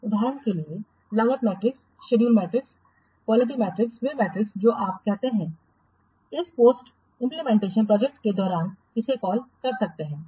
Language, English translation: Hindi, For example, the cost matrix, schedule matrix, quality matrix, those metrics you can collect during this post implementation project review